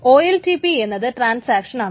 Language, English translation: Malayalam, OLTP is essentially transactions